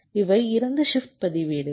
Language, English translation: Tamil, this is the shift register